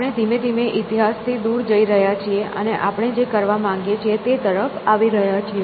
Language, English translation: Gujarati, So, we are slowly coming towards moving away from history and coming to what we want to do